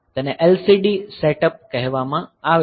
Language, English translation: Gujarati, So, this a call LCD setup